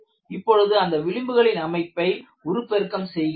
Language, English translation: Tamil, And what I will do is, I will also enlarge this fringe pattern